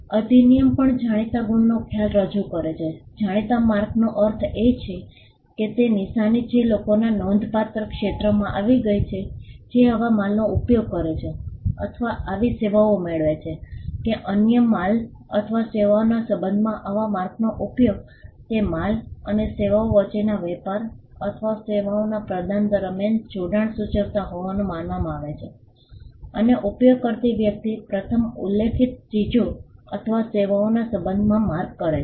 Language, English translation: Gujarati, The act also introduces the concept of well known marks; a well known mark means a mark which has become so to the substantial segment of the public; which uses such goods or receive such services that the use of such mark in relation to other goods or services would be likely to be taken as indicating a connection in the course of trade or rendering of services between those goods or services, and a person using the mark in relation to the first mention goods or services